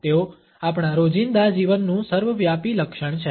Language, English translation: Gujarati, They are in ubiquitous feature of our everyday life